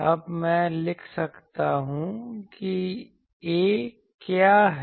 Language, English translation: Hindi, Now, I can write that what is A